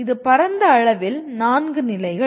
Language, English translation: Tamil, That is broadly the 4 stages